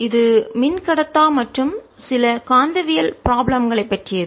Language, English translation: Tamil, it concerns dielectrics and some magnetostatics problem